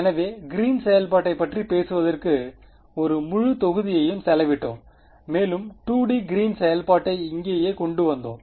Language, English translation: Tamil, So, we spent an entire module talking about the Green’s function and we came up with the 2D Green’s function as here right